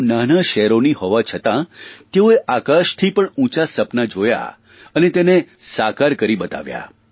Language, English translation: Gujarati, Despite hailing from small cities and towns, they nurtured dreams as high as the sky, and they also made them come true